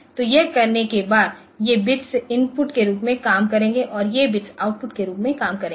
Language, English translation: Hindi, So, after doing this these bits will be acting as input and these bits will be acting as output